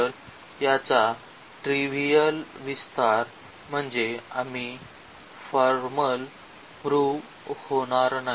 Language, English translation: Marathi, So, that is the trivial extension of this we will not go through the formal prove